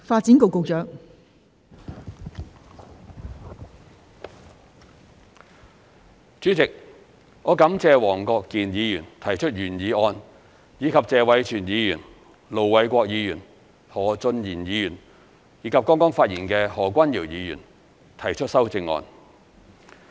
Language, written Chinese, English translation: Cantonese, 代理主席，我感謝黃國健議員提出原議案，以及謝偉銓議員、盧偉國議員、何俊賢議員和剛剛發言的何君堯議員提出修正案。, Deputy President I thank Mr WONG Kwok - kin for moving the original motion and Mr Tony TSE Ir Dr LO Wai - kwok Mr Steven HO and Dr Junius HO who has just spoken for proposing the amendments